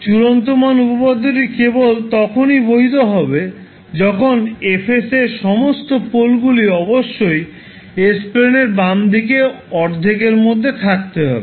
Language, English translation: Bengali, The final value theorem will be valid only when all polls of F s are located in the left half of s plane